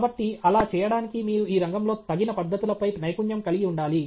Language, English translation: Telugu, So, in order to do that you need to have a mastery of appropriate techniques in the field